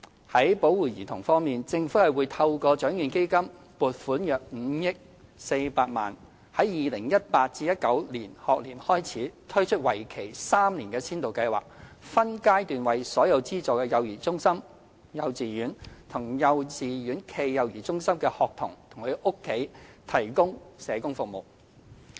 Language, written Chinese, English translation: Cantonese, 在保護兒童方面，政府會透過獎券基金撥款約5億400萬元，在 2018-2019 學年推出為期3年的先導計劃，分階段為所有資助幼兒中心、幼稚園及幼稚園暨幼兒中心的學童及其家庭提供社工服務。, Insofar as child protection is concerned the Government will allocate some 504 million from the Lotteries Fund to launch for the 2018 - 2019 school year a three - year pilot scheme to provide social work services in phases for children and their families in all aided child care centres kindergartens and kindergarten - cum - child care centres